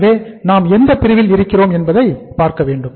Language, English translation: Tamil, So we will have to see that in which segment we are